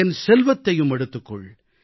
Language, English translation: Tamil, Take away all my riches